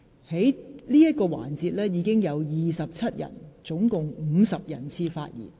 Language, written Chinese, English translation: Cantonese, 在此環節中，已經有27位議員合共50人次發言。, In this session a total of 27 Members have spoken for 50 person - times